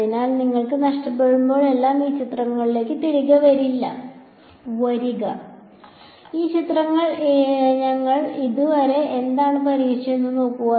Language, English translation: Malayalam, So, whenever you get lost come back to this picture and see what have we solved so far in this picture fine alright